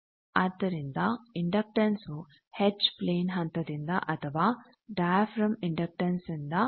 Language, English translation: Kannada, So, inductance you give by the h plane step or by a inductive diaphragm